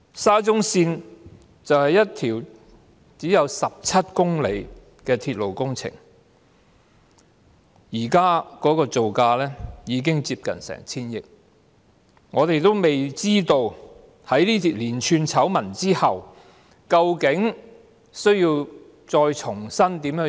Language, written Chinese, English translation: Cantonese, 沙中線是一條只有17公里長的鐵路工程，現時的造價已經接近 1,000 億元，而我們尚未知道在出現連串醜聞後究竟須如何重新處理。, A railway project stretching just 17 km SCL costs nearly 100 billion to build presently and we have yet to find out how the project would be adjusted afresh after the emergence of one scandal after another